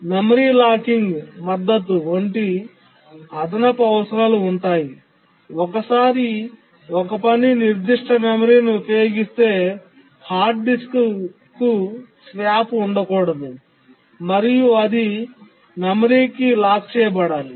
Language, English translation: Telugu, There are additional requirements like memory locking support that once a task uses certain memory, there should not be swapped to the hard disk and so on